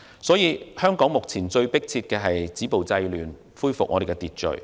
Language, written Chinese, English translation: Cantonese, 所以，現時香港最迫切的是要止暴制亂，恢復秩序。, Hence the most pressing task for Hong Kong now is to stop violence curb disorder and restore order